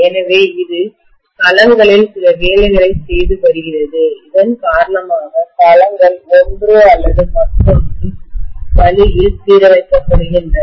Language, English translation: Tamil, So it is doing some work on the domains because of which forcefully, the domains are aligned in one way or the other, right